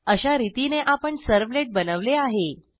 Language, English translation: Marathi, Thus, we have successfully created a servlet